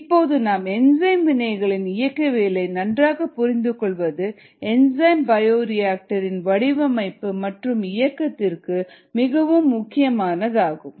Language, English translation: Tamil, here we need to have a good understanding of the kinetics or the rates of enzymes reaction and they become essential in the design and operation of enzyme bioreactors